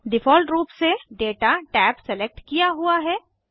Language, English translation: Hindi, By default, Data tab is selected